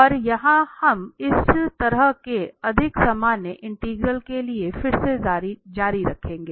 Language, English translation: Hindi, And here we will continue this again for such more general integral